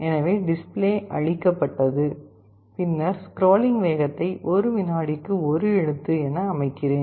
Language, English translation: Tamil, So, the display is cleared then I am setting speed of scrolling to one character per second